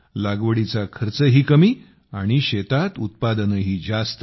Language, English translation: Marathi, The cost of cultivation is also low, and the yield in the fields is also high